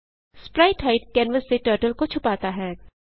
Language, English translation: Hindi, spritehide hides Turtle from canvas